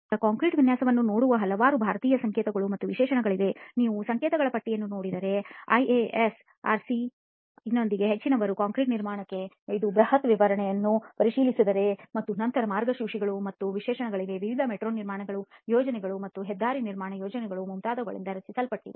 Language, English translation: Kannada, So there are several Indian codes and specifications that look at concrete design, of course if you look at the list of codes inspects it is massive specification for concrete construction with IAS, with IRC, with IRS, with MOST and then there are guidelines and specifications drawn up by various metro construction projects and highway construction projects and so on